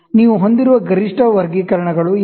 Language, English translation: Kannada, These are the maximum graduations you have